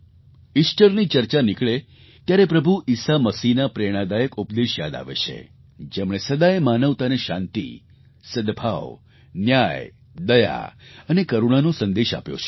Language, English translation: Gujarati, The very mention of Easter reminds us of the inspirational preaching of Lord Jesus Christ which has always impressed on mankind the message of peace, harmony, justice, mercy and compassion